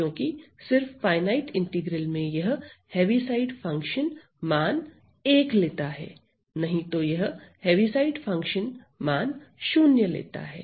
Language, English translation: Hindi, Because only in the finite integral this Heaviside function is takes the value 1, otherwise this Heaviside function takes the value 0